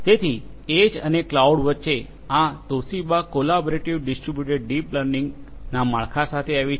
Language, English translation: Gujarati, So, between the edge and the cloud, this Toshiba came up with a collaborative distributed deep learning framework